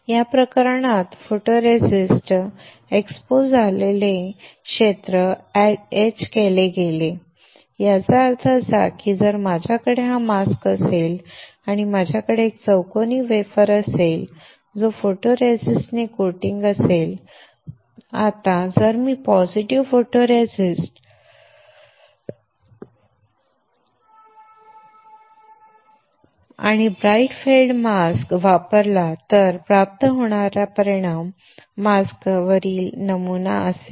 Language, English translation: Marathi, So, in this case the area which was exposed the photoresist got etched; which means, that if I have this as a mask and I have a square wafer which is coated with the photoresist; Now, if I use positive photoresist and a bright field mask then the result obtained will be the pattern on the mask